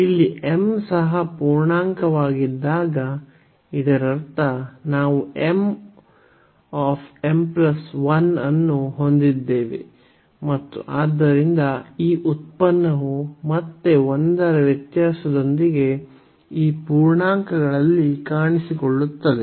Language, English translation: Kannada, So, when here m is also integer, so; that means, we have m m plus 1 and so on this product again appearing of these integers with the difference of 1